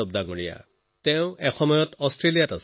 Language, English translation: Assamese, Sometime ago, Virendra Yadav ji used to live in Australia